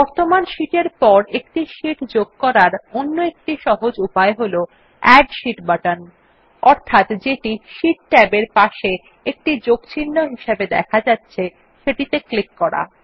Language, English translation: Bengali, Another simple way of inserting a sheet after the current sheet is by clicking on the Add Sheet button, denoted by a plus sign, next to the sheet tab